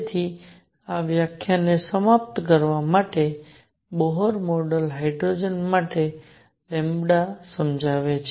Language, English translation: Gujarati, So, to conclude this lecture, Bohr model explains lambda for hydrogen